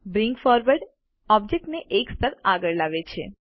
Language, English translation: Gujarati, Bring Forward brings an object one layer ahead